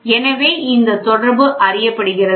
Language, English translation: Tamil, So, this relationship is known